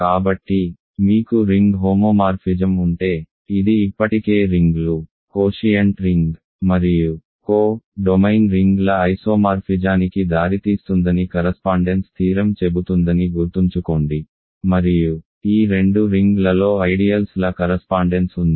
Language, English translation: Telugu, So, remember correspondence theorem says that if you have a ring homomorphism this already leads to an isomorphism of rings, quotient ring and the co domain ring and then there is a correspondence of ideals in these two rings